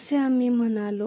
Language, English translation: Marathi, That is what we said